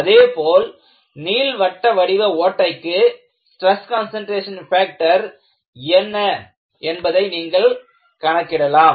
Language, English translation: Tamil, And, for an elliptical hole, you can calculate the stress concentration factor